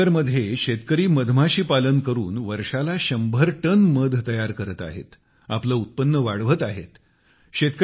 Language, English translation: Marathi, In Yamuna Nagar, farmers are producing several hundred tons of honey annually, enhancing their income by doing bee farming